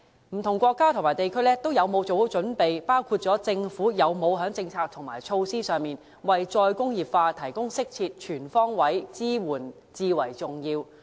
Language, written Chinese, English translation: Cantonese, 不同國家和地區有否做好準備，包括政府有否在政策和措施上，為"再工業化"提供適切及全方位的支援至為重要。, Hence it is most important for governments of various countries and places to take preparatory actions including formulating policies and measures to provide appropriate and comprehensive support for re - industrialization